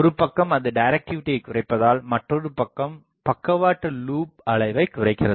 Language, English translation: Tamil, Because one side it reduces directivity, another side is puts the sidelobe level down